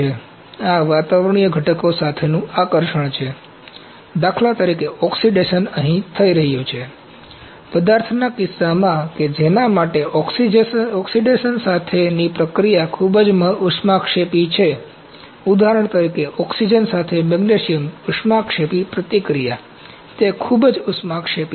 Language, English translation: Gujarati, So, this is the affinity to the atmospheric constituents, for instance oxidation is happening here so, in the case of materials for which reaction with oxygen is very exothermic, For example, magnesium magnesium exothermic reaction with oxygen or I could put highly exothermic